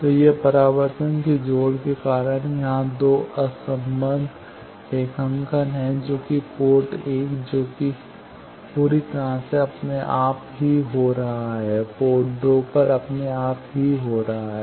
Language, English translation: Hindi, So, this is the two disjoined graphs here because of the reflection connection that the port 1 that is getting fully on its own similarly port 2 is getting on its own